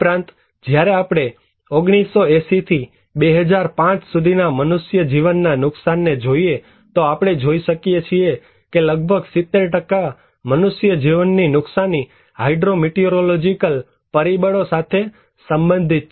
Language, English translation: Gujarati, Also, when we are looking into the loss of human life from 1980 to 2005, we can see that nearly 70% of loss of life are related to hydro meteorological factors